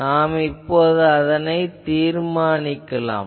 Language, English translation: Tamil, So, we will determine the current